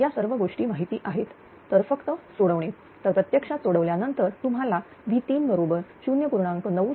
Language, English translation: Marathi, So, you will get basically after simplification all this things you will get V 3 is equal to 0